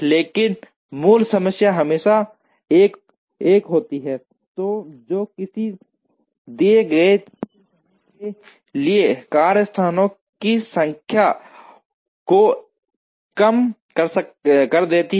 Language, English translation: Hindi, But, the basic problem is always 1 that minimizes the number of workstations for a given cycle time